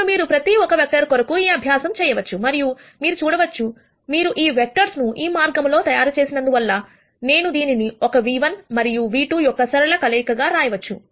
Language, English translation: Telugu, Now, you could do this exercise for each one of these vectors and you will be able to see, because of the way we have constructed these vectors, you will be able to see that each one of these vectors, I can write as a linear combination of v 1 and v 2